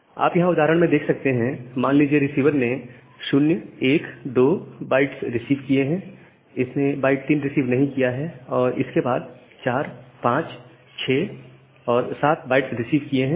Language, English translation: Hindi, So, here is an example, say the receiver has received the bytes 0 1 2 and it has not received the bytes 3 and then it has received bytes 4 5 6 7